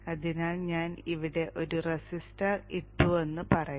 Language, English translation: Malayalam, So let's say I put a resistance here